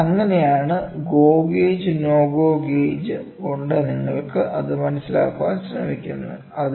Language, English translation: Malayalam, So, that is how by looking at the GO gauge no GO gauge you can try to figure it out